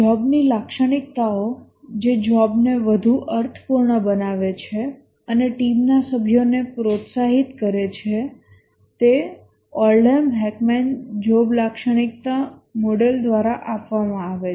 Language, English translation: Gujarati, The job characteristics which make the job more meaningful and motivate the team members is given by the Oldham Hackman job characteristic model